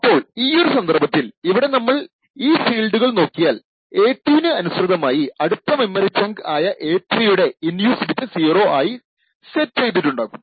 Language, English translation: Malayalam, So, corresponding to a2 over here for instance if you just follow these fields, we see that the next chunk of memory corresponding to a3 the in use bit is set to 0